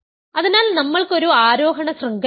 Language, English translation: Malayalam, So, we have an ascending chain